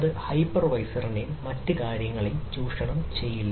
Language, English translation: Malayalam, so ah, it will not exploit that hypervisor and other things